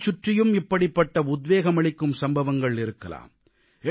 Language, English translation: Tamil, Your surroundings too must be full of such inspiring happenings